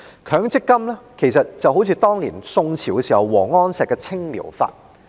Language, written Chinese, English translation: Cantonese, 強積金計劃就像宋朝王安石推行的"青苗法"。, The MPF scheme bears some resemblance to the Green Sprouts program introduced by WANG Anshi in the Song Dynasty